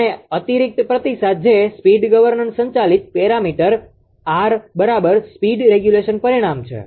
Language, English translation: Gujarati, And this additional feedback that is speed governor governing parameter R equal speed regulation parameter this feedback is taken